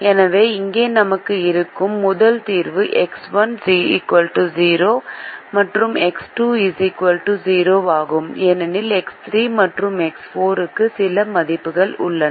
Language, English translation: Tamil, so the first solution that we have here is x one equal to zero and x two equal to zero, because x, three and x four have some values